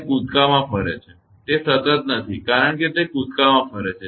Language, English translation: Gujarati, And moves in jumps, it is not a continuous because it moves in jumps